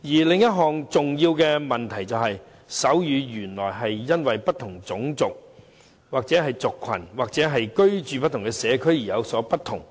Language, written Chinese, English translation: Cantonese, 另一個重要的問題是，手語原來會因為不同種族、族群或居住在不同社區而有所不同。, Another big problem is that sign language varies by race ethnicity and the community in which a person lives